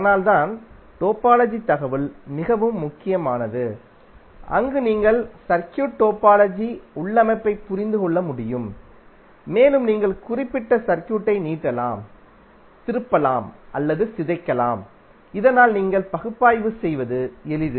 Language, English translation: Tamil, So that is why the topology information is very important where you can understand the topology configuration of the circuit and you can stretch, twist or distort that particular circuit in such a way that it is easier you to analyze